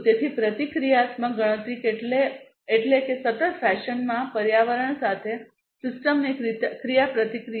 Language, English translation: Gujarati, So, reactive computation means interacts interaction of the system with the environment in a continuous fashion